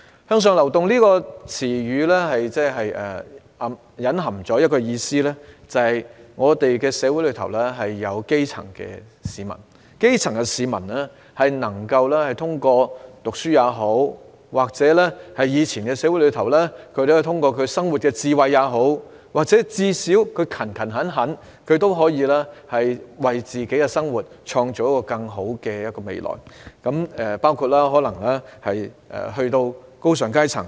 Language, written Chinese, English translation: Cantonese, "向上流動"一詞所隱含的意思是，社會上的基層市民能夠通過讀書，或是在以往的社會通過生活智慧，甚至最低限度通過勤勤懇懇的工作，為自己的生活創造更好的未來，包括進身高尚階層。, The term upward mobility implies that grass - roots people in society can through education or through wisdom of living in the past society or at least through hard work create a better future for their lives which include moving upward to a higher class